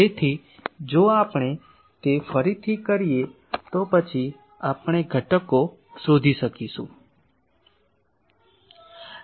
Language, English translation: Gujarati, So, if we do that again then we can find out the components